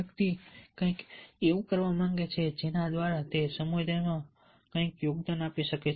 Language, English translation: Gujarati, the person may wants to do something by which he can contribute something to the community